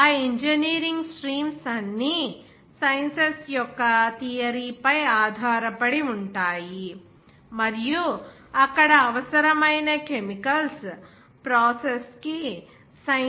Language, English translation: Telugu, All those engineering streams depends on that some sciences theory of sciences and then that sciences to be applied for the production of essential chemicals there